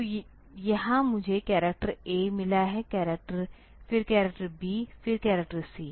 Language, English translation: Hindi, So, here I have got the character a; then the character b, then the character c